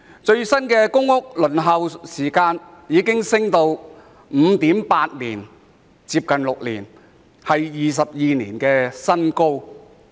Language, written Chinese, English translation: Cantonese, 最新的公屋輪候時間已升至 5.8 年，接近6年，創22年的新高。, The latest waiting time for public housing has risen to 5.8 years which is nearly 6 years hitting a record high in 22 years